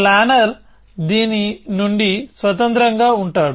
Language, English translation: Telugu, The planner would be independent of this